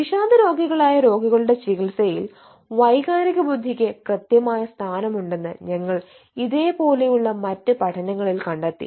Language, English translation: Malayalam, so in other studies we also find that um, hm, emotional intelligence happens to be a causative factors in the treatment of, uh ah, depressive patients